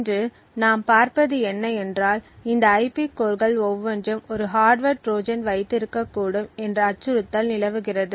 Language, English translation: Tamil, So, what we will be looking at today is the threat that each of these IP cores could potentially have a hardware Trojan present in them